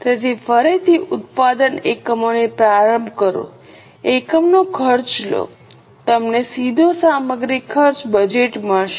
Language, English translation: Gujarati, Take the unit cost, you will get the direct material cost budget